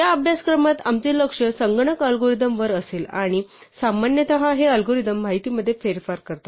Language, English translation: Marathi, Our focus in this course is going to be on computer algorithms and typically, these algorithms manipulate information